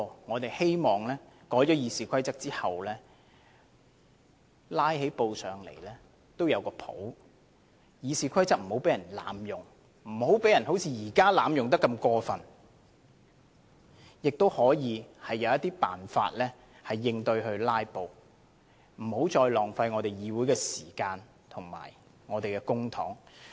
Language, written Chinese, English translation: Cantonese, 我們只是希望經修改後，即使"拉布"也不至於太離譜，而《議事規則》亦不會像現時般被過分濫用，可以有應對"拉布"的辦法，避免再浪費議會的時間及公帑。, We merely hope that after the amendments are made Members will not go too far in filibustering and RoP will no longer be so outrageously abused; and there are ways to counter filibustering so as to avoid further wastage of the Council time and public money